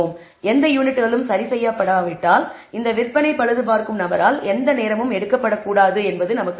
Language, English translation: Tamil, We know that if the no units are repaired then clearly no time should be taken by this sales repair person